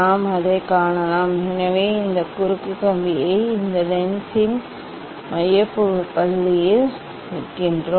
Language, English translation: Tamil, And we can see that one, so that way we put this cross wire at the focal point of this lens